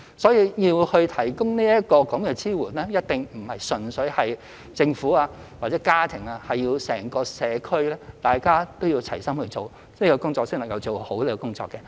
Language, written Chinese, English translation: Cantonese, 所以，要提供這支援，一定不是純粹由政府或家庭，而是整個社區大家都要齊心做，這工作才能做好。, Therefore support should not merely come from the Government or family members . The community at large must work in one mind to get the job done properly